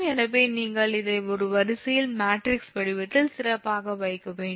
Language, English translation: Tamil, so you have to put this in a, in a, in a matrix form